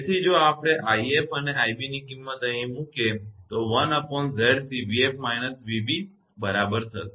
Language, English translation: Gujarati, So, if we substitute this i f and i b here it will be 1 upon Z c v f minus v b right